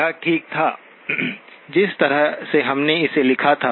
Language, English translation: Hindi, This was fine, the way we had written it down